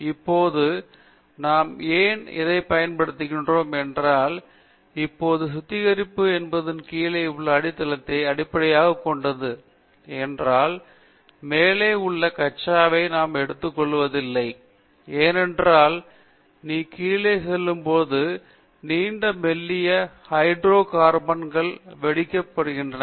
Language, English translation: Tamil, Though why we are using this is if now refining is based upon bottom of the barer, we are not taking the crude which is on the top of the layer because it is when you go to the bottom, the hydro carbons are long thin hydro carbons, therefore they have to be cracked